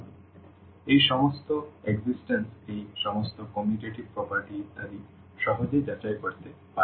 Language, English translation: Bengali, So, all those existence all this commutativity property etcetera one can easily verify